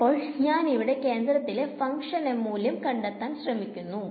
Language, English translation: Malayalam, So, I am what I am doing is, I am trying to find out the value of the function at the center of this space